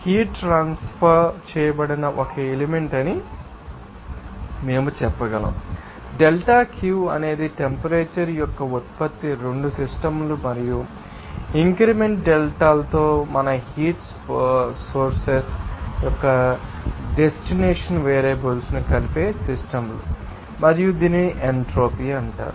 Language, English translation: Telugu, We can say that an element of heat transferred that is delta Q is the product of the temperature are both the system and the sources of our destination of the heat with increment delta is of the systems that conjugate variables and this is called that entropy